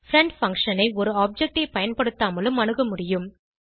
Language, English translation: Tamil, Friend function can be invoked without using an object